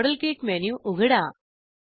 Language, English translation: Marathi, Open the model kit menu